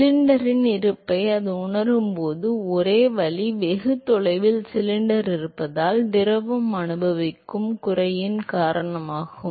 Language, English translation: Tamil, The only way it feels the presence of the cylinder is because of the deceleration that the fluid experiences because of the presence of the cylinder far away